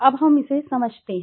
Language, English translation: Hindi, Now let us understand it